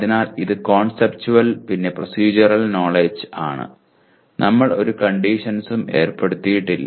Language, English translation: Malayalam, So it is both conceptual and procedural knowledge and we have not put any conditions